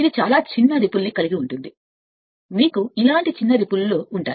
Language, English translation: Telugu, It will have the very small ripple, the you know very small ripple like this